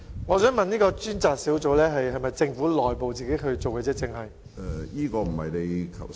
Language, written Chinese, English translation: Cantonese, 我想問有關的專責小組是否只是政府內部的一個小組？, Is the proposed task force just a small team set up within the Government?